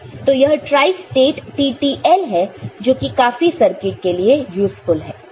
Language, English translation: Hindi, So, this is the tri stated TTL which is also useful in many circuit